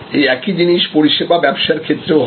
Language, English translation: Bengali, The same think happens in service business as well